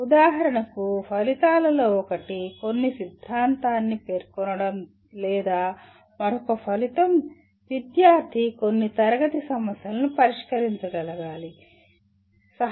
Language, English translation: Telugu, For example I ask one of the outcome is to state some theorem or another outcome could be the student should be able to solve certain class of problems